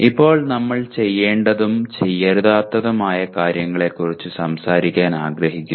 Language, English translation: Malayalam, Now we want to talk about do’s and don’ts